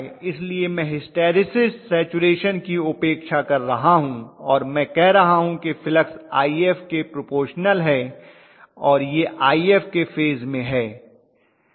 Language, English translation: Hindi, So I am neglecting hysteresis saturation all those nonlinearities I am neglecting and I am saying that flux is proportional to IF and it is in phase with IF, that is it